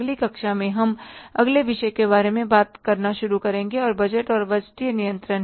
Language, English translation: Hindi, In the next class, we will start talking about the next topic that is the budgets and the budgetary control